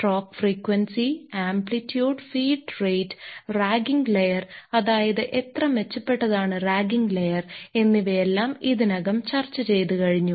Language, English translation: Malayalam, Stroke frequency and amplitude we have already discussed, feed rate we have already discussed and the ragging layer, that is how effective is the ragging layer